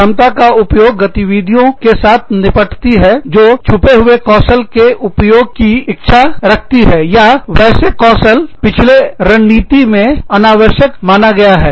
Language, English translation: Hindi, Competence utilization deals with activities, that seek to utilize latent skills, or skills that had been deemed unnecessary, under a previous strategy